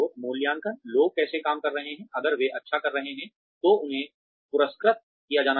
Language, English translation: Hindi, Assessing, how people are working, if they are doing well, they should be rewarded